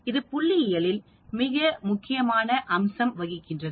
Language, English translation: Tamil, So hypothesis is a very important concept in statistics